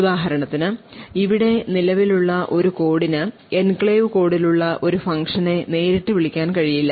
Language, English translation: Malayalam, So, for example a code present over here cannot directly call a function present in the enclave code